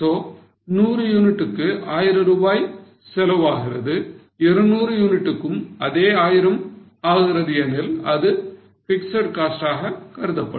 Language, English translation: Tamil, So, for 100 units if cost is 1,000, for 200 unit also it remains 1,000, then that will be considered as fixed costs